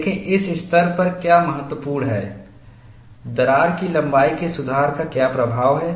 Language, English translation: Hindi, See, what is important at this stage is what is the influence of correction of crack length